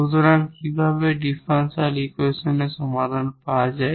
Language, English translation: Bengali, So, how to get this auxiliary equation